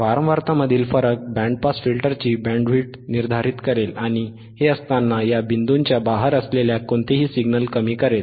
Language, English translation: Marathi, The difference Wwill determine bandwidth have beenof band pass filter while attenuating any signals outside these points,